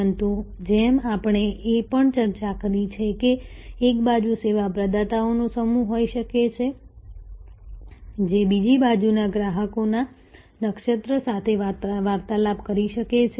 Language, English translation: Gujarati, But, as we also discussed, that there can be a constellation of service providers on one side interacting with a constellation of customers on the other side